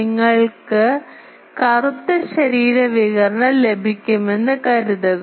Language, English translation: Malayalam, Actually suppose you will receive black body radiation